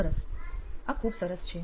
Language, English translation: Gujarati, That is great